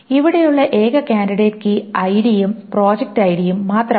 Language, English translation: Malayalam, The only candidate key here is ID and project ID